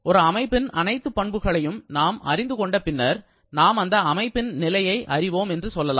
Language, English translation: Tamil, Once we know all the properties of a system then, we can say that we know the state of the system